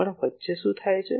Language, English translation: Gujarati, But what happens in between